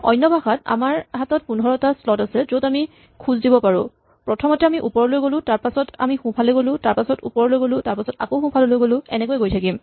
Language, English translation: Assamese, So, we have in other words we have 15 slots, where we can make moves and then we just say first we make an up move, then we make a right move then we make an up move then make another up move and so on